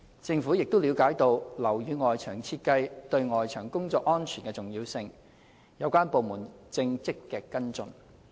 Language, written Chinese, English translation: Cantonese, 政府亦了解到樓宇外牆設計對外牆工作安全的重要性，有關部門正積極跟進。, President the Government is highly concerned about the safety of works carried out at external walls of buildings